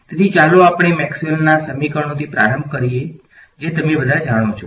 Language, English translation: Gujarati, So, let us get started with Maxwell’s equations which all of you know